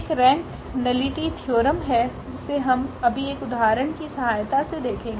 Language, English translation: Hindi, There is a rank nullity theorem which we will just observe with the help of the example